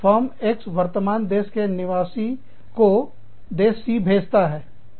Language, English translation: Hindi, Firm X, sends the parent country nationals, to country C